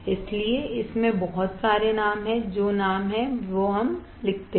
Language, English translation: Hindi, So, it has lot of names what are the names let us write down